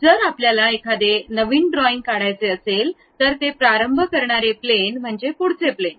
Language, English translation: Marathi, Any drawing we would like to begin as a new one the recommended plane to begin is front plane